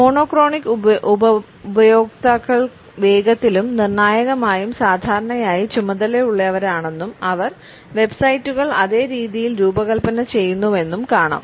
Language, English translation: Malayalam, We find that monochronic users are quick and decisive and usually task oriented and they design the websites in the same manner